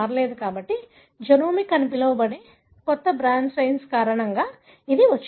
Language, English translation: Telugu, So, this has come, because of a new brand of Science called as genomics